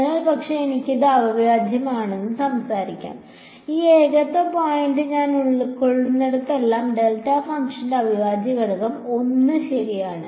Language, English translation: Malayalam, So, but I can talk about it’s integral, the integral of delta function as long as I cover this point of singularity is 1 right